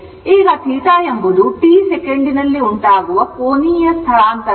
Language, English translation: Kannada, Now, theta is the angular displacement in time t second